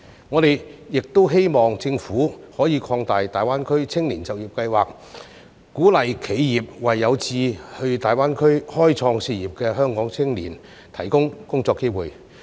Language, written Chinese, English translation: Cantonese, 我們亦希望政府可以擴大大灣區青年就業計劃，鼓勵企業為有志到大灣區開創事業的香港青年提供工作機會。, We also hope that the Government would expand the Greater Bay Area Youth Employment Scheme to encourage enterprises to offer job opportunities for Hong Kong youths who aspire to pursue their career in the Greater Bay Area